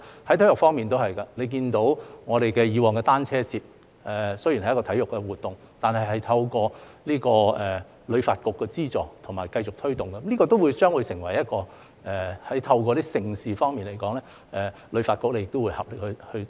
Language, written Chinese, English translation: Cantonese, 在體育方面也是一樣，大家看到以往的香港單車節，雖然是一項體育活動，但透過旅發局資助及繼續推動，將會成為一項盛事，旅發局也會合力去做。, As we can see although the Hong Kong Cyclothon was a sports event in the past it will become a major event through HKTBs funding and continuous promotion and HKTB will also make concerted efforts to do so